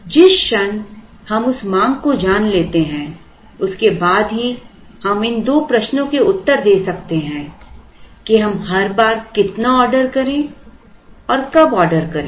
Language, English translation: Hindi, The moment we know that demand then only we can answer these two questions how much to order every time we order and when to order